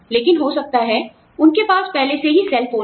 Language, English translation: Hindi, But, maybe, they already have cellphones